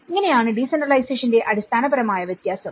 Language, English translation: Malayalam, So, this is how the very basic fundamental difference of a decentralization